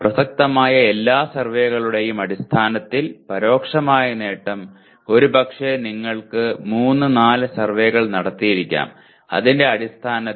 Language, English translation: Malayalam, Indirect attainment based on all relevant surveys, maybe you have done 3 4 surveys and based on that is 0